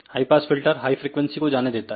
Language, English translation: Hindi, High pass filter passes higher frequencies